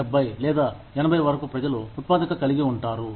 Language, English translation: Telugu, People are, can be productive, till 70 or 80's